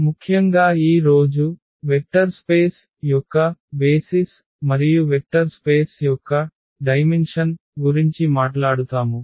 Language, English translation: Telugu, In particular today will be talking about the basis of a vector space and also the dimension of a vector space